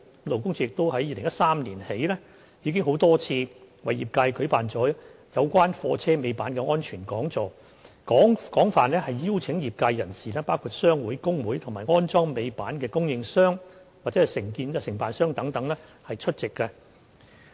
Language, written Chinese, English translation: Cantonese, 勞工處自2013年起已多次為業界舉辦有關貨車尾板的安全講座，廣邀業界人士包括商會、工會及安裝尾板的供應商或承辦商等出席。, Since 2013 LD has organized a number of seminars about safe tail lift operation for the industry and invited trade associations workers unions and tail lift supplierscontractors to join